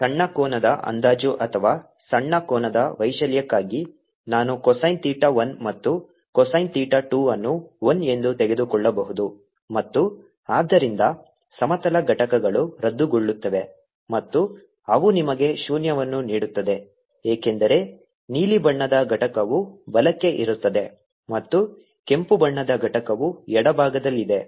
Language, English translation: Kannada, i can take cosine theta one and cosine theta two to be one and therefore the horizontal components cancel and they give you zero because the component for the blue one is towards a right and component for the red one is towards the left